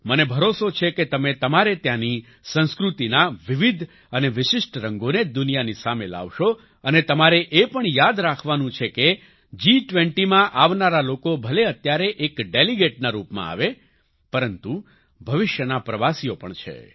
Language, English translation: Gujarati, I am sure that you will bring the diverse and distinctive colors of your culture to the world and you also have to remember that the people coming to the G20, even if they come now as delegates, are tourists of the future